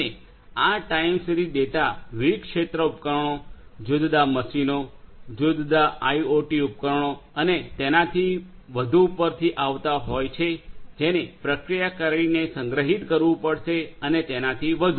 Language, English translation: Gujarati, And these are like time series data coming from different field devices, machines different machines, different IoT devices and so on which will have to be stored processed and so on